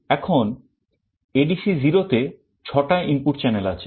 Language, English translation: Bengali, Now, in ADC0 there are 6 analog input channels